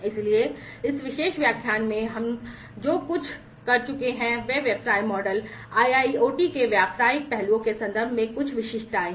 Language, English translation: Hindi, So, in this particular lecture, what we have gone through are some of the specificities in terms of business models, the business aspects of IIoT